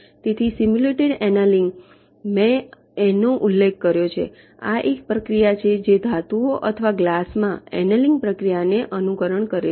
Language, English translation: Gujarati, ok, so simulated annealing: i mentioned this, that this is a process which simulates the annealing process in metals or glass